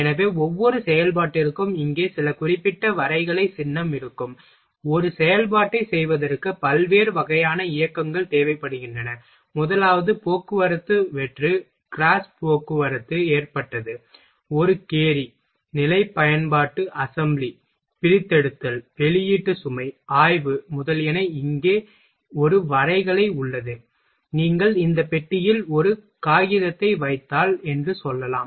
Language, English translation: Tamil, So, each operation will have some specific graphical symbol here, there are variety of motions which is required for a performing an operation, first one is transport empty grasp transport loaded, a carry, position use assembly, disassembly, release load, inspection, etcetera here, there is the one graphical here you can say that if you are placing a one paper in this box